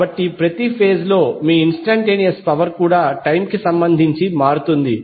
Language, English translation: Telugu, So even your instantaneous power of each phase will change with respect to time